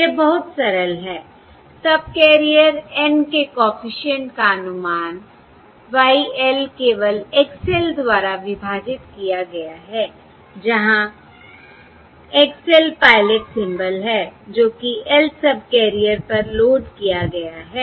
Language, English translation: Hindi, the estimate of coefficient across subcarrier N is simply y L divided by x L, where x L is the pilot symbol loaded onto the Lth subcarrier